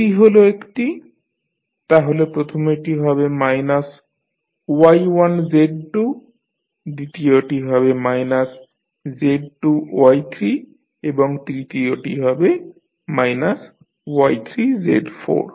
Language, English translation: Bengali, One is this one, so first one will be minus of Y1 Z2, second would be minus of Z2 Y3 and the third one will be minus of Y3 Z4